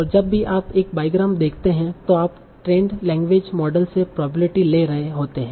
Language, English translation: Hindi, And whenever you see a bygram, you're taking probability from the trained language model